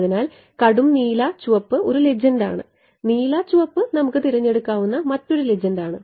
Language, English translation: Malayalam, So, dark blue red is one legend blue red is another legend we can choose ok